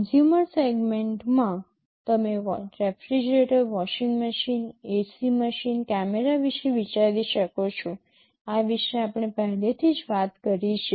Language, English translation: Gujarati, In the consumer segment you can think of refrigerator, washing machine, AC machine, camera, this already we have talked about